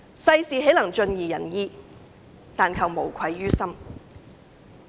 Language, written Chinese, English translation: Cantonese, "世事豈能盡如人意，但求無愧於心"。, We can never please everyone but we should just be honest to our conscience